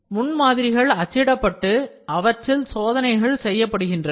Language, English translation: Tamil, So, prototypes are generally printed and test are conducted on them